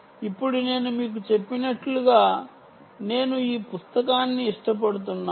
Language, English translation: Telugu, ok now, as i mentioned to you, i like this book